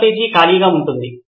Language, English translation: Telugu, New page would be blank